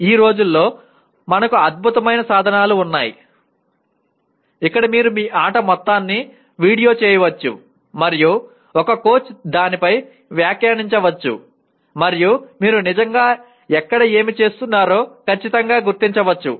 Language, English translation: Telugu, But these days we have excellent tools where you can video the entire your play and then a coach can comment on that and can exactly pinpoint where you are actually doing